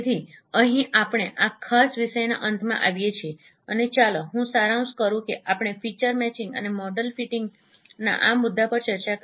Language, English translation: Gujarati, So here we come to the end of this particular topic and let me summarize what we discussed in this topic of feature matching and model fitting